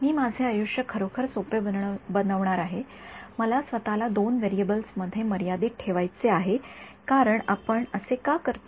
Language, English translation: Marathi, I am going to make my life really simple I want to restrict myself to two variables because why would you do that